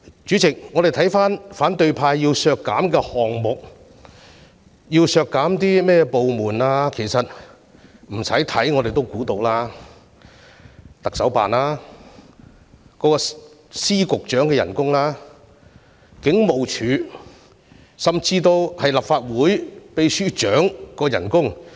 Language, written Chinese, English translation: Cantonese, 主席，關於反對派要求削減的項目及他們要求削減的部門開支，我不用猜也知道當中包括特首辦、各司局長的薪酬、警務處處長甚至立法會秘書長的薪酬。, Chairman regarding the items and departmental expenses which the opposition camp seeks to reduce it takes no guesswork to figure out that the targets are the Chief Executives Office the salaries of the Secretaries of Departments and Directors of Bureaux as well as the salaries of the Commissioner of Police and even of the Secretary General of the Legislative Council Secretariat